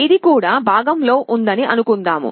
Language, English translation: Telugu, Suppose it is in the right half